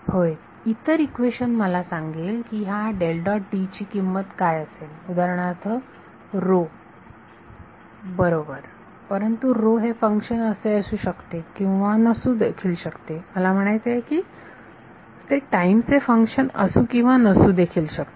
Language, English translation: Marathi, Yes, the other equation will tell me what is the value of this del dot D for example, rho; right, but rho may or may not be a function I mean may or may not be a function of time in the depend